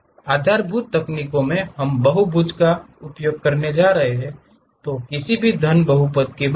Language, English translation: Hindi, In basis spline techniques, we are going to use polygons instead of any cubic polynomials